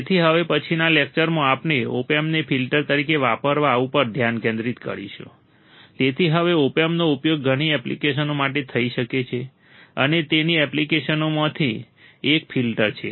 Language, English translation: Gujarati, So, in the next lecture, we will concentrate on using opamp as a filter alright the opamp as a filter circuit So, now, the opamp can be used for several applications and one of its application is the filter